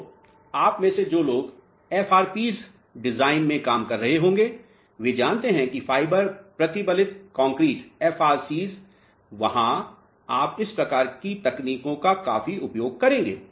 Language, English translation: Hindi, So, those of you who might be working in FRPs design of you know Fiber Reinforced Concrete FRCs, there you will use these type of techniques quite a lot